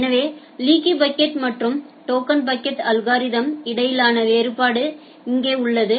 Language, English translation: Tamil, So, here is the difference between the leaky bucket versus token bucket algorithm